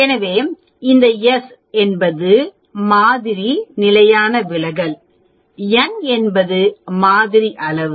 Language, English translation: Tamil, So, this s is the sample standard deviation, n is the sample size